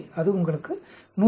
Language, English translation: Tamil, So, that gives you 148